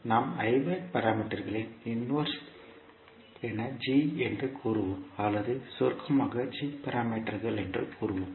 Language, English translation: Tamil, So, we will say g as inverse of hybrid parameters or we say in short as g parameters